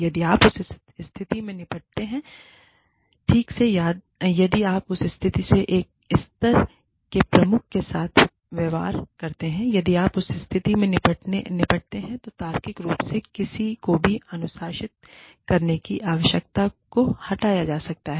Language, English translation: Hindi, If you deal with that situation, properly, if you deal with that situation, with a level head, if you deal with that situation, logically, the need to discipline, anyone, could be removed